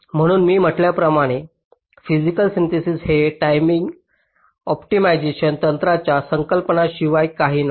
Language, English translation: Marathi, so physical synthesis, as i have said, is nothing but collection of timing optimization techniques